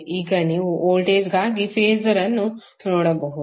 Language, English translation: Kannada, Now if you see Phasor for voltage